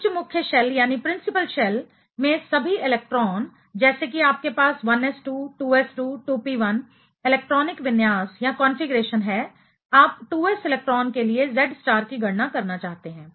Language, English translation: Hindi, All electrons in higher principal shell, let us say you have 1s2, 2s2, 2p1 electronic configuration, you want to calculate the Z star for 2s electron